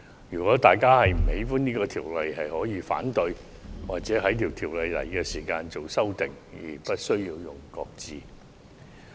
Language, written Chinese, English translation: Cantonese, 如果大家不喜歡修訂法例，大可提出反對或在其提交立法會時提出修改，而不是將其擱置。, Members who do not like it might as well raise objection or propose amendments when it is tabled to the Legislative Council rather than putting it on hold